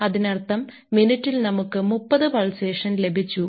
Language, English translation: Malayalam, So, in the pulsation frequency is 60 strokes per minute